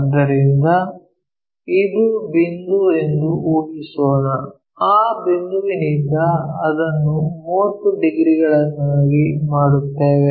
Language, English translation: Kannada, So, let us assume this is the point from that point we will make it 30 degrees